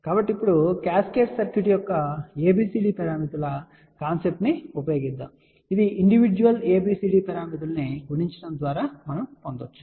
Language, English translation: Telugu, So, now, we are going to use the concept of ABCD parameters of cascaded circuit which can be obtained by multiplying individual ABCD parameters